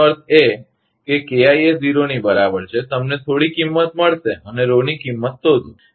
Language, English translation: Gujarati, That means, for KI is equal to zero, you will get some value and find out the Rho value